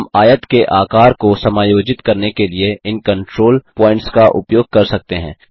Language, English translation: Hindi, We can use these control points to adjust the size of the rectangle